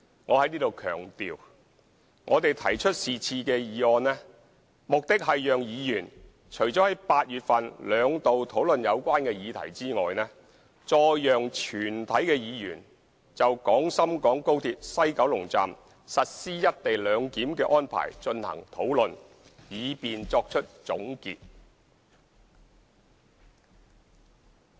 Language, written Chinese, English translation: Cantonese, 我在此強調，我們提出是項議案，目的是讓議員除了在8月份兩度討論有關議題外，再讓全體議員就廣深港高鐵西九龍站實施"一地兩檢"的安排進行討論，以便作出總結。, I emphasize here that we have proposed this motion with the aim of further enabling all Members to hold discussions on the implementation of the co - location arrangement at the West Kowloon Station of XRL in addition to the two occasions of discussing the relevant issues in August so as to draw a conclusion